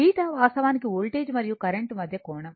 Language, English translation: Telugu, Theta actually angle between the voltage and current right